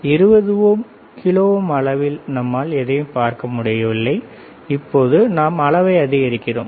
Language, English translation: Tamil, Initially it was 20 kilo ohm, here you cannot see anything so now, we are increasing it, right